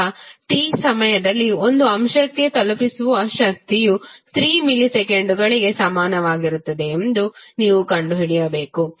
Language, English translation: Kannada, now, you need to find out the power delivered to an element at time t is equal to 3 milliseconds